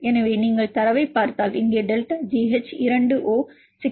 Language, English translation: Tamil, So, if you see the data, here delta G H2O is 6